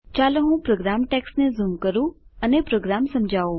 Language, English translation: Gujarati, Let me zoom into the program text and explain the program